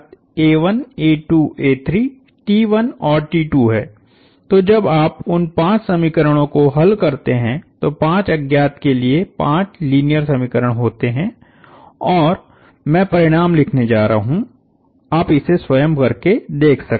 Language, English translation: Hindi, So, when you solve those five equations is the five linear equations in five unknowns and the result, I am going to write the result, you can check this on your own time